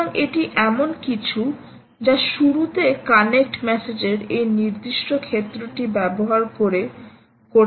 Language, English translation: Bengali, ok, so that is something that you could do right at the beginning by using this particular field of a connect message